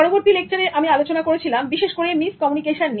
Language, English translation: Bengali, In the next lecture, I again focus particularly on miscommunication